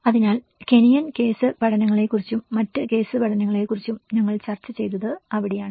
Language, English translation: Malayalam, So, that is where we discussed about the Kenyan case studies and other case studies as well